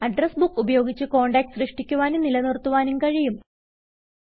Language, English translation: Malayalam, You can use the Address Book to create and maintain contacts